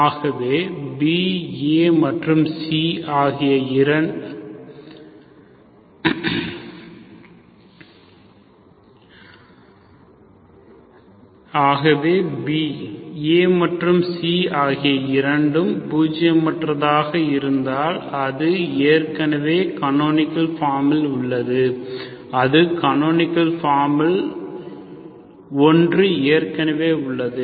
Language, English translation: Tamil, So B, if A and C, both are zero, it is already in the form of canonical form, okay, that is one of the canonical form is already there